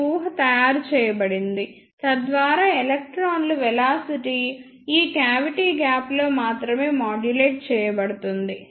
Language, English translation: Telugu, This assumption is made, so that the velocity of electrons is modulated only in this cavity gap